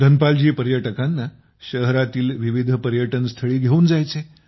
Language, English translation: Marathi, Dhanpal ji used to take tourists to various tourist places of the city